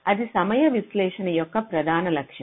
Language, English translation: Telugu, so this is the main objective of timing analysis